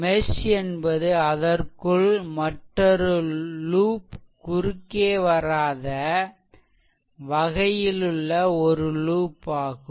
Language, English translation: Tamil, If mesh is a loop it does not cut any other loop within it right